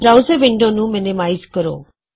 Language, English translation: Punjabi, Minimize your browser window